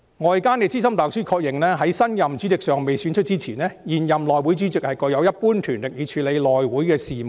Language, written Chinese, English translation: Cantonese, "外間資深大律師確認，在新任主席尚未選出前，現任內會主席具有一般權力以處理內會的事務"。, In summary pending the election of a new chairman while the incumbent HC Chairman should have all the usual powers to conduct the business of HC